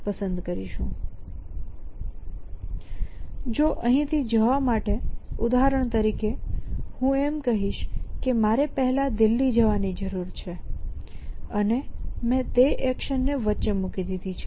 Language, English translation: Gujarati, So, if at to go from here to there on for example, I would to say I need to flight to Delhi first and I put that action in between